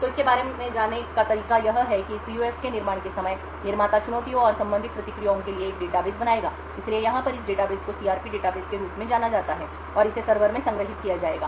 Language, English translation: Hindi, So the way to go about it is that at the time of manufacture of this PUF, the manufacturer would create a database for challenges and the corresponding responses, so this database over here is known as the CRP database and it would be stored in the server